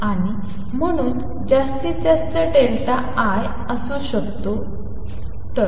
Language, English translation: Marathi, And therefore, maximum delta l can be 1